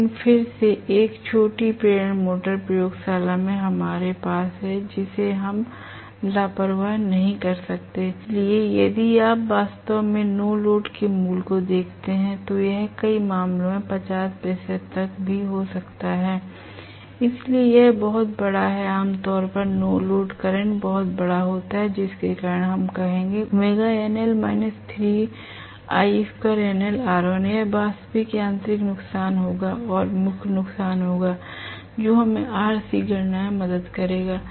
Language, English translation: Hindi, But is a small induction motor again what we have in the laboratory an all we could not careless, so if you look at actually the value of the no load it can be as high as 50 percent even in many cases, so it is very large normally the no load current is very large because of which we will say W no load minus 3I no load square R1, this will be the actual mechanical loss plus the core loss, this will be the actual mechanical loss plus core loss, which will help us to calculate RC